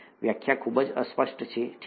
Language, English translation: Gujarati, Definition is very vague, okay